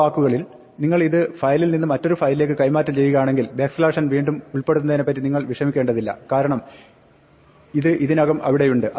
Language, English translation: Malayalam, In other words, if you are going to transfer this from one file to another, you do not want to worry reinserting the backslash n because this is already there